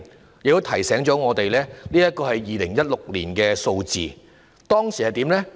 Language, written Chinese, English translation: Cantonese, 我亦要提醒大家，這是2016年的數字，當時的情況是怎樣呢？, Please bear in mind that they are the figures for 2016 and what was the situation at the time?